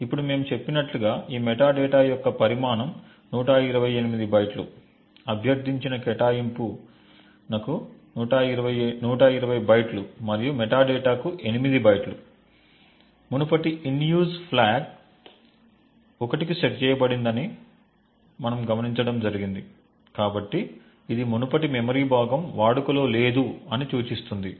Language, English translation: Telugu, Now the size of this metadata as we have mentioned is 128 bytes, 120 bytes for the requested allocation and 8 bytes for the metadata, we also note that previous in use flag is set to 1, so this indicates that the previous chunk of memory is not in use